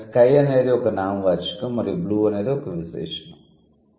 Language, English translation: Telugu, Sky is a noun and blue is the adjective